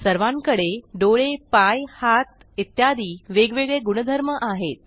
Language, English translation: Marathi, We all have different properties like eyes, legs, hands etc